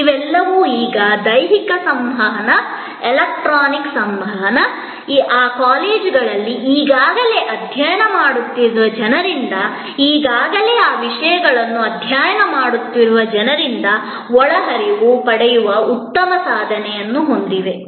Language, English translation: Kannada, All these now have physical interactions, electronic interactions, good possibility of getting inputs from people who are already studying in those colleges, people who are already studying those subjects